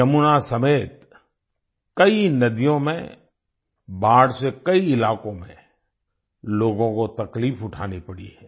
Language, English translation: Hindi, Owing to flooding in many rivers including the Yamuna, people in many areas have had to suffer